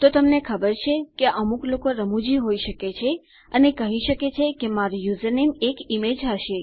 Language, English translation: Gujarati, So you know some people can be funny and say my username is going to be an image